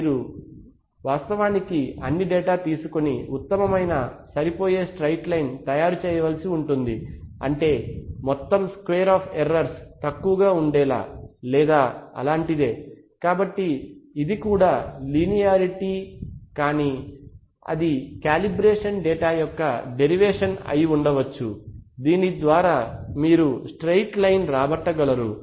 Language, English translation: Telugu, So that it is the smallest possible you have to actually take all the data and make up a best fit straight line such that, the sum of square of errors is the least or something like that, so that is that is linearity but it is the deviation of the calibration data from some good straight line which you have obtained either by data fitting or in some cases it may be obtained also in a different way